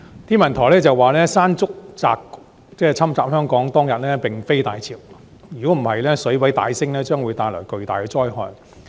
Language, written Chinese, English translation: Cantonese, 天文台說山竹襲港當天並非大潮，否則水位大幅上升會帶來更巨大的災害。, According to the Hong Kong Observatory it was not during a spring tide when Mangkhut hit Hong Kong; otherwise the significant rise in sea level would bring even greater damage